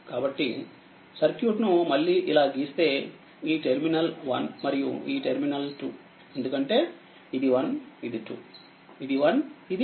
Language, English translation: Telugu, So, if you if you redraw the circuit like this; this terminal is 1 and this terminal is 2 because this is 1, this is 2, this is1, this is 2